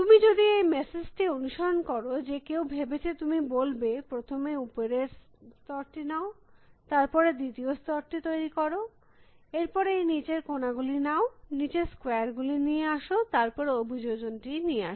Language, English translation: Bengali, If you follow the message that somebody has thought you would says, take the top layer first, then make the second layer, then get this bottom corners, get the bottom squares and then get the orientation